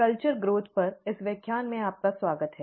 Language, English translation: Hindi, Welcome to this lecture on ‘Culture Growth’